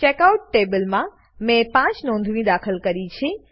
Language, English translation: Gujarati, I have inserted 5 entries into Checkout table